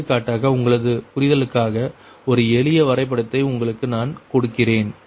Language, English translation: Tamil, for example, i am giving you a same for your understanding, a simple diagram, suppose